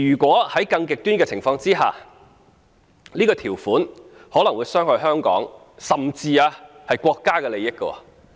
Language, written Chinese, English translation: Cantonese, 在更極端的情況下，這項條款可能會傷害香港，甚至國家的利益。, In extreme cases such a provision can harm the interest of Hong Kong even that of the State